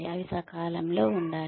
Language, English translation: Telugu, They should be timely